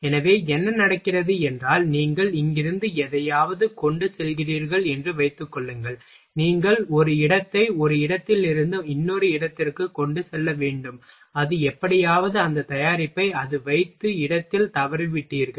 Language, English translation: Tamil, So, what happens suppose that you are transporting something from here to here you have to transports, one product from one place to another place, and somehow you have missed that product where it has placed